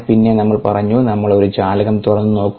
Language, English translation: Malayalam, then we said that we will open a wind, a window